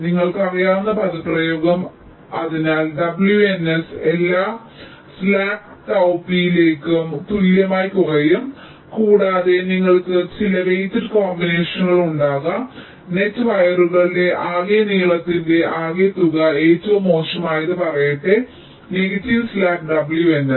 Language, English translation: Malayalam, so w n s will be less than equal to slack tau p for all tau p, and you can make some weighted combinations: sum of the total length of the net wires and let say, the worst negative slack w n s